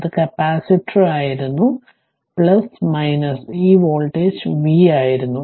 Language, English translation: Malayalam, But, we assume that this capacitor initially was charge at v 0